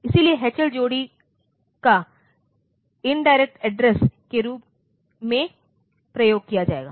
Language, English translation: Hindi, So, H L pair will be used as the indirect address